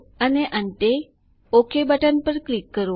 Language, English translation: Gujarati, And finally click on the OK button